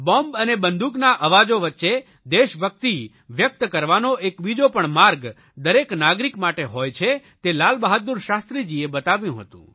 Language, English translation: Gujarati, Lal Bahadur Shashtri Ji showed that even amidst the deafening sounds of gunfire and bombardment, there existed an alternative way for every citizen for expressing patriotism